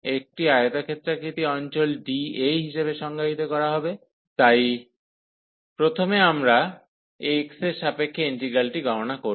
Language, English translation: Bengali, So, over such a rectangular region d A will be defined as so first we will compute the integral with respect to x